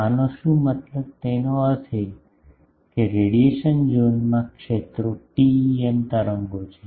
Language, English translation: Gujarati, What is the meaning; that means, in the radiation zone the fields are TEM waves